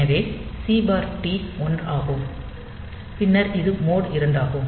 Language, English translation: Tamil, So, C/T is 1, and then this is mode 2